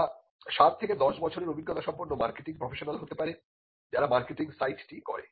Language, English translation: Bengali, They could be a marketing professional with seven to ten year experience who do the marketing site